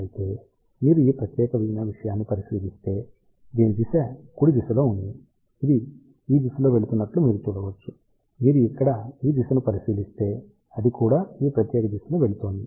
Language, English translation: Telugu, However, if you look at this particular thing the direction of this is in the right hand direction, you can see it is going in this direction, if you look at the direction of this one here, it is also going in this particular direction